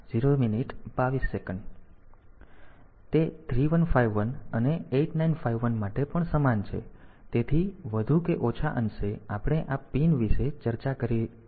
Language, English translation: Gujarati, So, it is similar for 3151 and 8951 also; so, more or less we have discuss the pins